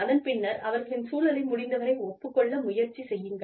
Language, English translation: Tamil, Then, agree, to their situation, to the extent possible